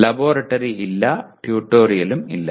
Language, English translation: Malayalam, There is no laboratory, there is no tutorial